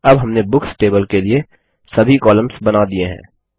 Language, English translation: Hindi, Now we have created all the columns for the Books table